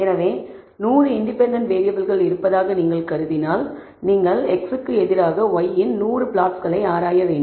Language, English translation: Tamil, So, if you assume there are 100 independent variables, you have to examine 100 such plots of y versus x